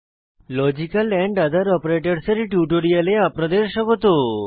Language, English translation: Bengali, Welcome to this spoken tutorial on Logical Other Operators